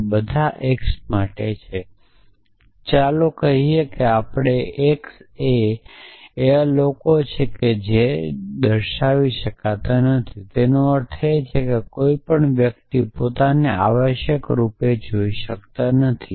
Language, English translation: Gujarati, It is saying there for all x let us assume that x is people x cannot see x which means one cannot see oneself essentially